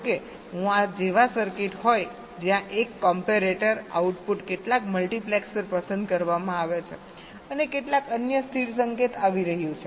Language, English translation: Gujarati, suppose i have a circuit like this where the output of a comparator is selecting some multiplexers and also some other stable signal is coming